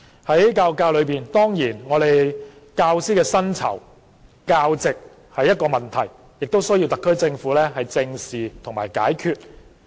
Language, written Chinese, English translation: Cantonese, 在教育界內，教師的薪酬和教席是問題，需要特區政府正視和解決。, In the education sector teachers pay and the number of teaching posts are problems that the SAR Government needs to address squarely and solve